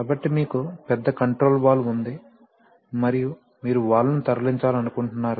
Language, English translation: Telugu, So you have a big controlled valve and you want to move the valve